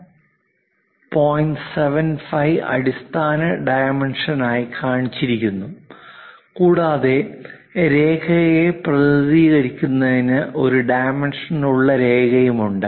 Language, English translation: Malayalam, 75 as the basic dimension and there is a dimension line to represent the line